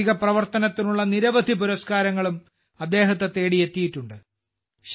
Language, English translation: Malayalam, He has also been honoured with many awards for social work